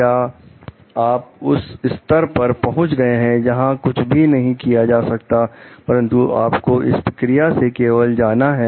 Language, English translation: Hindi, Have you reached that stage, where nothing can be done, but you have to go through this process only